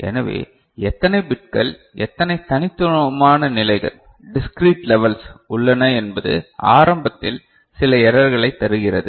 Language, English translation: Tamil, So, how many bits, how many discrete levels that you are having that is actually giving you some error right in the beginning